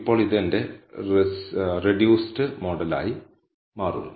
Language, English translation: Malayalam, Now this becomes my reduced model